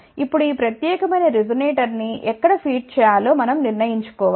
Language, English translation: Telugu, Now, we have to actually decide where to feed this particular resonator